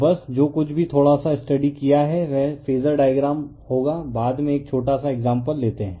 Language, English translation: Hindi, So, just to whateveRLittle bit you have studied we will come to phasor diagram other thing later you take a small example